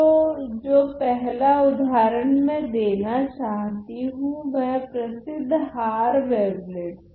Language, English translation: Hindi, So, the first example that I want to show is the famous Haar wavelets